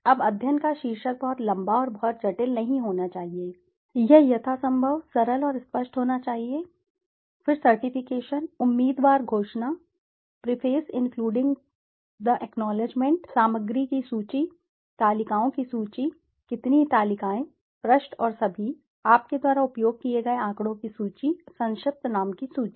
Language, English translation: Hindi, Now the title of the study should not be extremely long and very complex, it should be as simple and as clear as possible, then certification, candidate declaration, preface including the acknowledgements, table of content, list of tables, how many tables, which page and all, list of figures that you have used, list of abbreviation